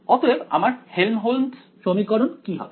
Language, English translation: Bengali, So, what will my Helmholtz equation be